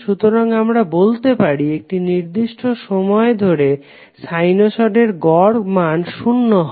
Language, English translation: Bengali, So we can say that average of sinusoid over a particular time period is zero